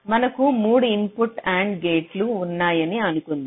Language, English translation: Telugu, suppose i have a three input and gate